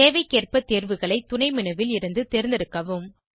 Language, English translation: Tamil, Select options from the sub menu, according to the requirement